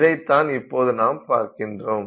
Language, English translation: Tamil, So, that is what we will see here